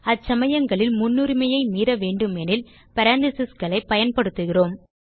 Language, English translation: Tamil, In such situations, if we need to override the precedence, we use parentheses